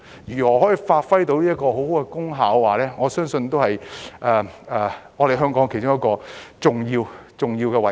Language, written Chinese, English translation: Cantonese, 如何發揮很好的功效，我相信是香港其中一個重要的位置。, I believe how to play an effective role is one of the important tasks for Hong Kong